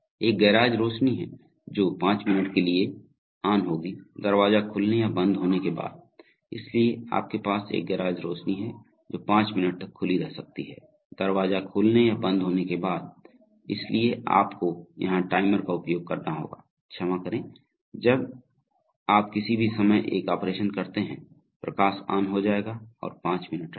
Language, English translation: Hindi, There is a garage light that will be on for five minutes, after the door opens or closes, so you have a garage light which can be open for five minutes, after the door opens or closes, so you have to use a timer here, so sorry, any time you do an operation the light is going to go on and stay five minutes okay